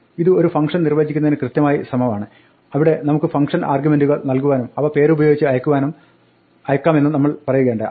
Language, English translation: Malayalam, This is exactly like defining a function where remember, we said that we could give function arguments and we could pass it by name